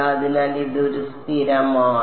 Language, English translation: Malayalam, So, this is a constant with